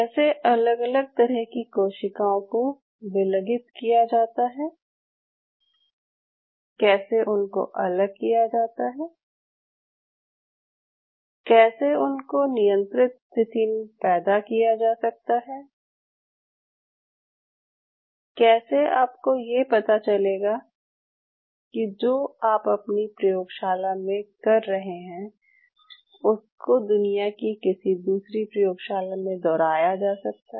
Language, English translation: Hindi, How you can grow them in a control condition, how you can grow them in a defined condition, how do you know that what you are doing in this particular lab will be repeatable in another part of the world